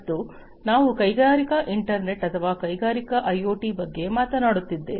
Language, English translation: Kannada, And when we are talking about whether it is the industrial internet or the industrial IoT